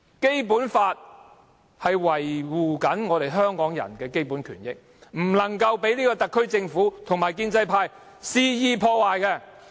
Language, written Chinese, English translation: Cantonese, 《基本法》維護香港人的基本權益，不能被這個特區政府及建制派肆意破壞。, The basic rights and benefits enjoyed by Hong Kong people are protected under the Basic Law and these should not be recklessly undermined by the HKSAR Government and the pro - establishment camp